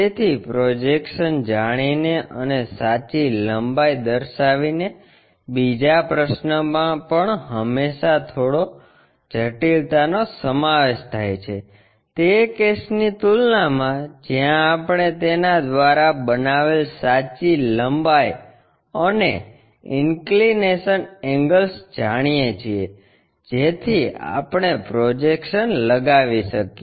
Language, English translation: Gujarati, So, the second question by knowing projections and constructing the true length is always be slight complication involved, compared to the case where we know the true length and inclination angles made by that so, that we can construct projections